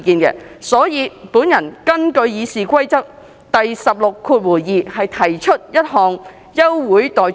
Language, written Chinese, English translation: Cantonese, 就此，我根據《議事規則》第162條，提出休會待續議案。, In this connection I propose an adjournment motion in accordance with Rule 162 of the Rules of Procedure